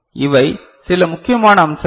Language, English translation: Tamil, So, these are certain important aspect